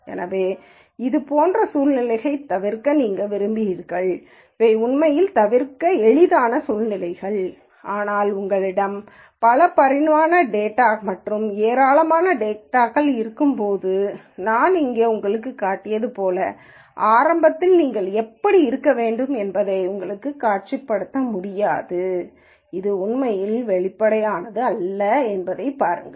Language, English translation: Tamil, So, you would like to avoid situations like this and these are actually easy situations to avoid, but when you have multi dimensional data and lots of data and which you cannot visualize like I showed you here it turns out it is not really that obvious to see how you should initially